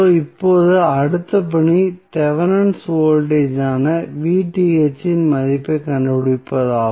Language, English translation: Tamil, Now, next task is to find the value of Vth that is Thevenin voltage